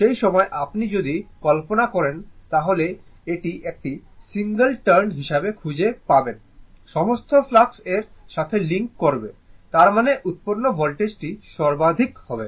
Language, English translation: Bengali, At that time, this if you if you imagine, you will find it is a single turn, you will find all the flux will link to this; that means, voltage generated will be maximum, right